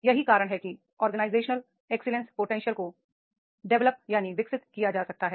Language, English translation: Hindi, This is all about the organizational excellence potential is there